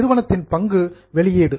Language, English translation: Tamil, Issue of share by the company